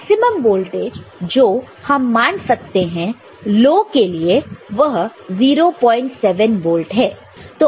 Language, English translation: Hindi, The maximum voltage that can treat as low is 0